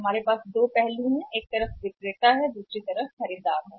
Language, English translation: Hindi, We have the two sides one is the seller and other is a buyer right